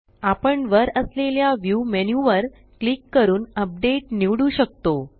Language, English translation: Marathi, We can also click on the View menu at the top and choose Update